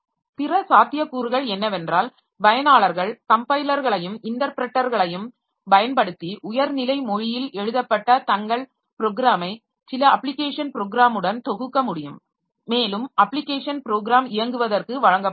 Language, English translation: Tamil, Other possibility is that the users can use the compilers and interpreters to compile their program written in high level language to some application program and that application program may be given for running